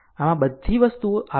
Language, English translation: Gujarati, So, all this things are a given